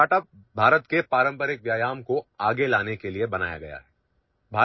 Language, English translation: Urdu, Our startup has been created to bring forward the traditional exercises of India